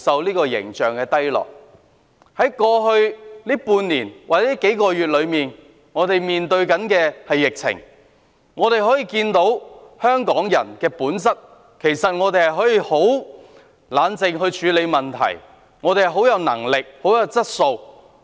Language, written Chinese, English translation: Cantonese, 過去半年或數個月，我們面對疫情，大家可以看到香港人的本質，其實我們可以很冷靜地處理問題，有能力、有質素。, Encountering the epidemic over the past six months or so we can see the very nature of Hongkongers . We can actually deal with problems calmly . We have the ability and quality